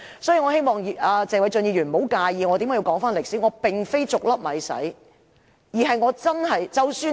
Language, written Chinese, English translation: Cantonese, 所以，我希望謝偉俊議員不要介意我回顧歷史，我並非"逐粒米洗"，而是我真的......, I hope that Mr Paul TSE will not mind me looking back to history . I do not mean to wash rice grain by grain